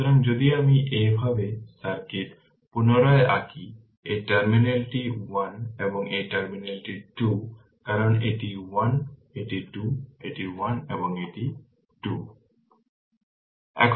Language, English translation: Bengali, So, if you if you redraw the circuit like this; this terminal is 1 and this terminal is 2 because this is 1, this is 2, this is1, this is 2